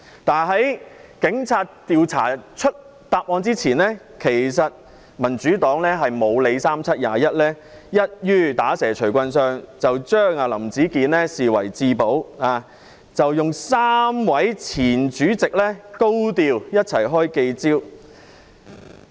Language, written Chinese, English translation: Cantonese, 但是，在警察查出真相前，民主黨"不理三七二十一"，一於"打蛇隨棍上"，將林子健視為至寶，由3位前主席一起高調召開記者招待會。, Nevertheless before the Police discovered the truth the Democratic Party rashly seized the opportunity treated Howard LAM as its most precious asset and held a press conference hosted by three of its former Chairmen in a high - profile manner